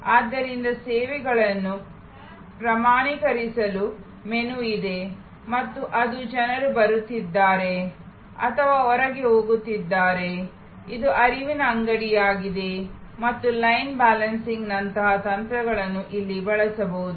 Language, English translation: Kannada, So, there is a menu of standardizing services and it is, people are coming in or going out, it is a flow shop and techniques like line balancing can be used here